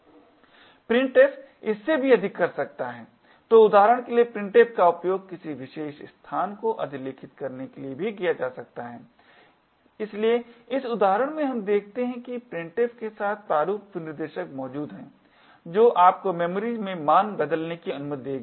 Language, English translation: Hindi, Printf can do much more than this, so printf for example can be also used to overwrite a particular location, so in this example what we see is that there are format specifiers present with printf that would allow you to change a value in memory